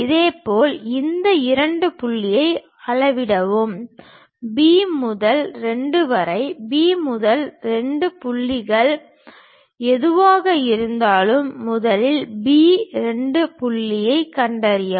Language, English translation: Tamil, Similarly, measure this 2 point from B to 2, whatever B to 2 point first locate B 2 point